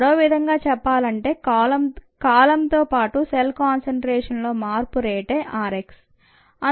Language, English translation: Telugu, this is the rate, in other words, the rate of change of cell concentration with time is what r x is